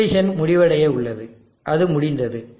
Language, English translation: Tamil, So the simulation is now about to complete and it has completed